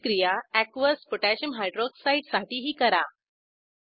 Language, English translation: Marathi, Lets repeat the process for Aqueous Potassium Hydroxide(Aq.KOH)